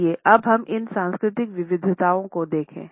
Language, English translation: Hindi, Let us look at these cultural variations